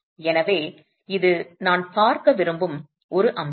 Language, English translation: Tamil, So, that's an aspect that I would like to look at